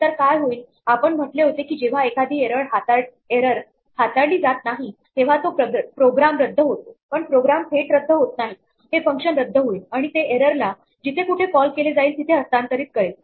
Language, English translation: Marathi, So, what happens we said is when an error is not handled the program aborts, but the program does not directly abort; this function will abort and it will transfer the error back to whatever called it